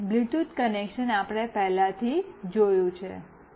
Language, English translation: Gujarati, And the Bluetooth connection we have already seen